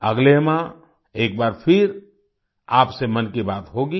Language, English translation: Hindi, Next month, we will have 'Mann Ki Baat' once again